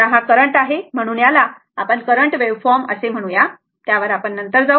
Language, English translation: Marathi, Now, this is the current this is the say current waveform will come to this later